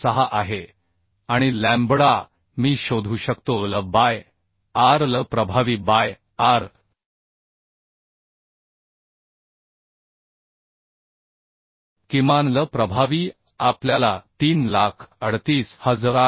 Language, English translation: Marathi, 86 and lambda I can find out l by r we locate it by r minimum l effective we found 338